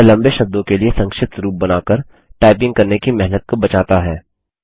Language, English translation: Hindi, It saves typing effort by creating shortcuts to long words